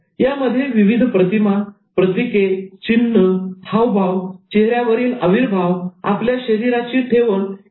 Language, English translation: Marathi, It's using images, symbols, signs, gestures, facial expressions, postures, etc